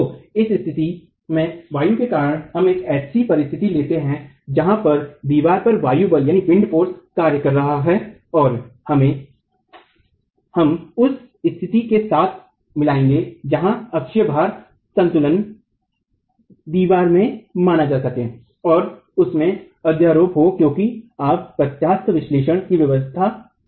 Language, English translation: Hindi, So, in this condition you have due to the wind, let's take the situation of just the wind force acting on the wall and then combine it with the situation where the axial load equilibrium can be considered in the wall and superpose them because you are working in the regime of elastic analysis